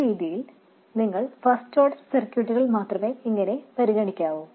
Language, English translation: Malayalam, This way you will only have to consider first order circuits